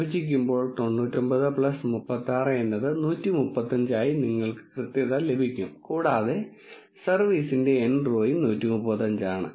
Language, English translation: Malayalam, When you divide that you will get the accuracy as 99 plus 36 is 135, and the n row of service is also 135